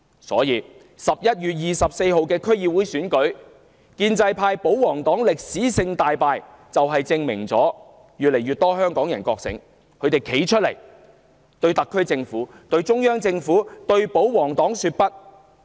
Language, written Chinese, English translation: Cantonese, 在11月24日的區議會選舉中，建制派、保皇黨歷史性大敗，正好證明越來越多香港人覺醒，站出來對特區政府、中央政府及保皇黨說"不"。, The historic and crushing defeat suffered by the pro - establishment camp and pro - Government parties in the District Council Election on 24 November bore testament to the awakening of ever more Hongkongers willing to stand up and say No to the SAR Government the Central Government and pro - Government parties